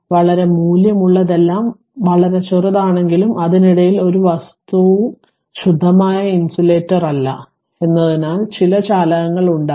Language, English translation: Malayalam, All though there very value is very small and in between that that no no nothing no material is a pure insulator right some conduction will be there